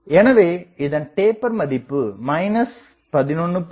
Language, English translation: Tamil, So, taper is minus 11